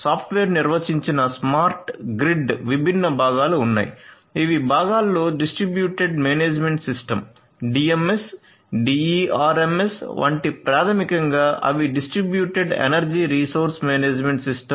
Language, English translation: Telugu, There are different other components in the software defined smart grid in know components such as the Distributed Management System the DMS, the DERMS which is basically they are Distributed Energy Resource Management System